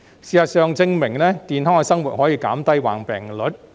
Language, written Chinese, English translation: Cantonese, 事實證明，健康的生活可以減低患病率。, As proven by the facts healthy living can reduce the morbidity rate